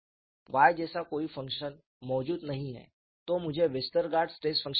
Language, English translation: Hindi, No function like Y exists at all, and then I get Westergaard stress functions